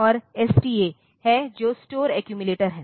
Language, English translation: Hindi, And there is STA which is store accumulator